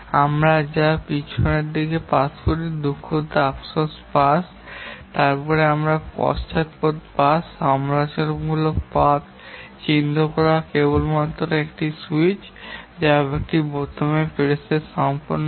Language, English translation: Bengali, the one that we do by backward pass, sorry, forward pass and then followed by backward pass, identification of the critical path, these are done only on press of a switch, a press of a button